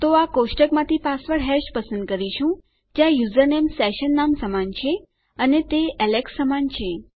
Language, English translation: Gujarati, So, what we are doing is we are selecting our password hash from this table where the username is equal to the session name, and that is equal to Alex